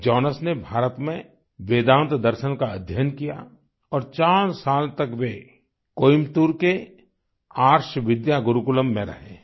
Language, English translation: Hindi, Jonas studied Vedanta Philosophy in India, staying at Arsha Vidya Gurukulam in Coimbatore for four years